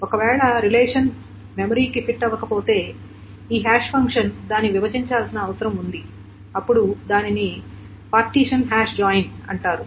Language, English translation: Telugu, So if the hash function, if the relation doesn't fit into memory, then this hash function needs to partition partition it and then it is called a partition hash joint